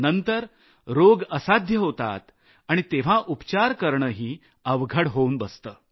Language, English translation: Marathi, Later when it becomes incurable its treatment is very difficult